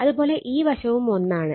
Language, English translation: Malayalam, 5 and this side also 1